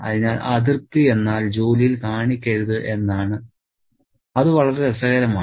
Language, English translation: Malayalam, So, displeasure means no show at work and that's very interesting